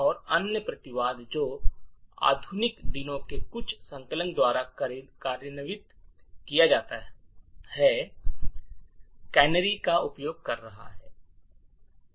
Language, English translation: Hindi, And other countermeasure that is implemented by some of the modern day compilers is by the use of canaries